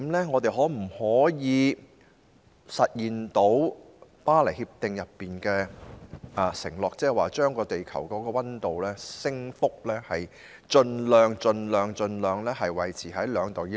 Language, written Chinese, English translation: Cantonese, 我們可否實現《巴黎協定》的承諾，將地球溫度的升幅盡量維持在 2°C 以內？, Can we fulfil the Paris Agreements commitment to keeping the global temperature rise well below 2°C?